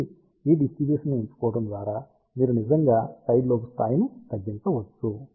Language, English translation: Telugu, So, by choosing this distribution, you can actually reduce the sidelobe level